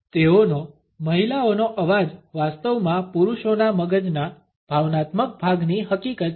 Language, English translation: Gujarati, (Refer Time: 23:50) their women’s voice actually a facts the emotional part of a men’s brain